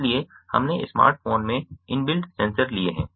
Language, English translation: Hindi, so we have taken the inbuilt sensors in the smartphone